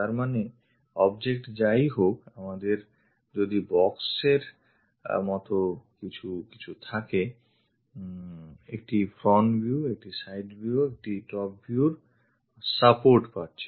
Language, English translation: Bengali, That means whatever might be the object if we have something like a box, a front view supported by a side view supported by a top view